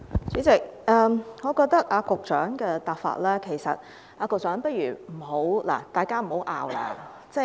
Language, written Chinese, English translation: Cantonese, 主席，我覺得局長的回答方法......局長，不如大家別爭拗。, President I think the way the Secretary gives his reply is Secretary we had better stop arguing